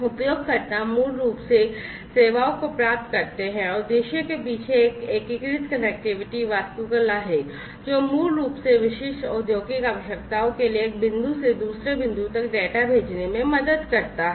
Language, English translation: Hindi, Users basically get the services and behind the scene there is an unified connectivity architecture, that basically helps in sending data from one point to another catering to the specific industrial requirements that are there